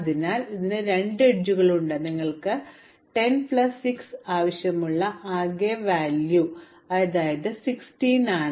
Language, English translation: Malayalam, So it has 2 edges, but the total cost is only 10 plus 6, which is 16